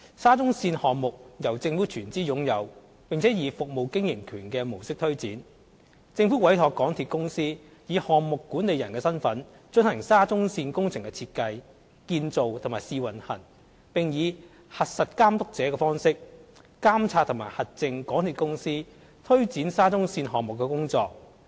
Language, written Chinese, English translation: Cantonese, 沙中線項目由政府全資擁有並以"服務經營權"模式推展，政府委託香港鐵路有限公司以項目管理人的身份進行沙中線工程的設計、建造和試運行，並以"核實監督者"的方式監察和核證港鐵公司推展沙中線項目的工作。, The SCL project is wholly owned by the Government and implemented under a service concession approach . The MTR Corporation Limited MTRCL was entrusted by the Government to the design construction and commissioning of the SCL project . The Government assumes the check the checker role to monitor and verify MTRCLs implementation of the SCL project